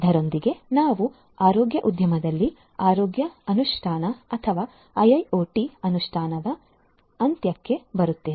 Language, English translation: Kannada, With this, we come to an end of the healthcare implementation or IIoT implementation in the healthcare industry